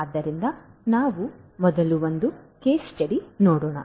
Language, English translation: Kannada, So, let us look at a case study first